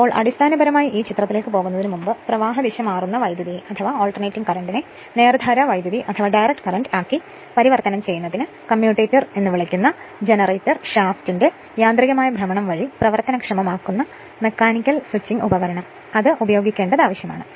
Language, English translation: Malayalam, So, basically in order to before going to that figure in order to convert the alternating current to DC current, it is necessary to employ mechanical switching device which is actuated by the mechanical rotation of the generator shaft, called a commutator